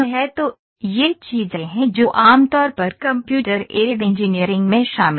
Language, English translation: Hindi, So, these are the things which are generally covered in Computer Aided Engineering